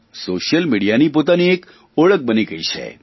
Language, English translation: Gujarati, Social media has created an identity of its own